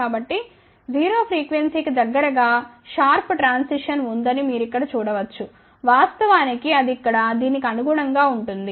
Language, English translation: Telugu, So, you can see here that close to 0 frequency there is a sharp transition which is actually corresponding to this one over here